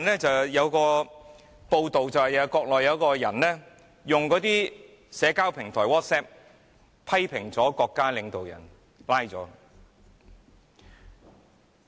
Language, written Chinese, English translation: Cantonese, 最近有一則報道是，國內有一個人在社交平台，在微信群中批評國家領導人而被捕。, In a news report recently a person in the Mainland was arrested for criticizing the national leaders in the WeChat group a social platform